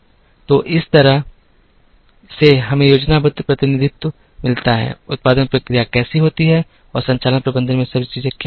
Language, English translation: Hindi, So, this kind of gives us a schematic representation of, how the production processes take place and what are all the things that are related in operations management